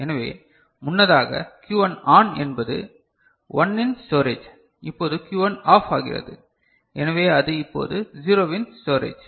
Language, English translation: Tamil, So, earlier we considered Q1 ON means a storage of 1, now Q1 become OFF so it is now storage of 0